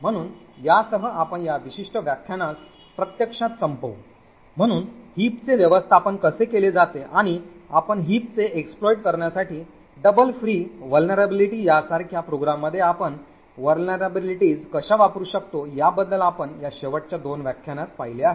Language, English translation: Marathi, So with this we will actually wind up this particular lecture, so we had seen in this last two lectures about how heaps are managed and how you could actually use vulnerabilities in the program such as a double free vulnerability to exploit the heap, thank you